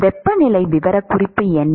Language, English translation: Tamil, What is the temperature profile